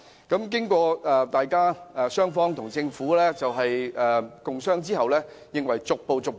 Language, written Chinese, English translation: Cantonese, 經過與政府共商後，認為應逐步進行。, After discussions with the Government it was agreed that adjustments should be made progressively